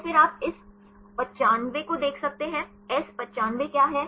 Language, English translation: Hindi, And then you can see this 95; what is S 95